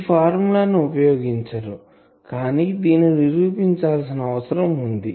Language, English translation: Telugu, , this formula is used but to prove this we need to find out one thing